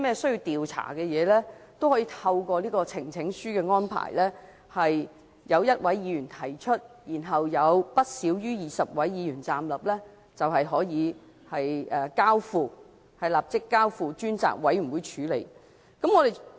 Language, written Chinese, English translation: Cantonese, 如有任何冤情或需要調查的事情，也可由1位議員提交呈請書，得到不少於20位議員站立支持後，便可立即交付專責委員會處理。, If a matter involves injustice or warrants an inquiry a Member may present a petition and it will be referred forthwith to a select committee after no less than 20 Members rise to their feet as a show of support